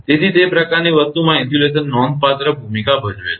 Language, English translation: Gujarati, So, those kind of thing insulation plays a significant role